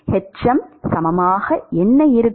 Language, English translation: Tamil, hm as what will be the equivalent